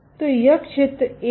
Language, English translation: Hindi, So, this area A